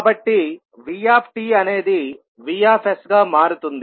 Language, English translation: Telugu, So, vt will become vs